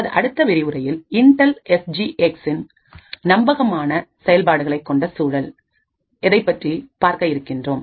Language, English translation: Tamil, In the next lecture will look at the Intel SGX trusted execution environment, thank you